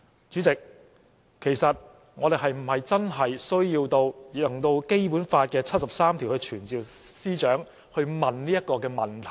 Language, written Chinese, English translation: Cantonese, 主席，其實我們是否真的需要引用《基本法》第七十三條來傳召司長來詢問這個問題？, President do we really need to invoke Article 73 of the Basic Law to summon the Secretary for Justice in order to ask this question?